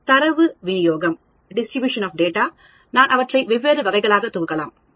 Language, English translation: Tamil, Distribution of data, can I group them into different categories